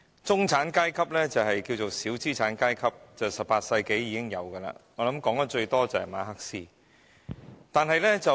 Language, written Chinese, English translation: Cantonese, 中產階級又名小資產階級，最早見於18世紀，談論得最多的是馬克思。, The term middle class also known as bourgeoisie was first used in the 18 century and the person who used this term most was Karl MARX